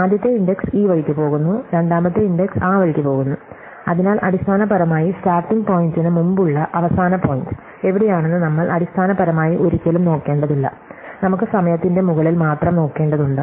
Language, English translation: Malayalam, So, we have the first index going this way and the second index going that way, so we basically never need to look at values where the ending point is before the starting point, so we only need to lookup half of the time